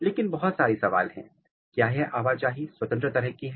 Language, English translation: Hindi, But, there are a lot of question, is the movement free